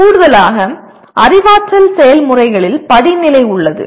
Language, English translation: Tamil, And in addition there is hierarchy among cognitive processes